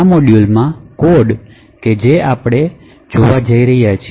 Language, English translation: Gujarati, So this particular module corresponds to the code that we have seen in the presentation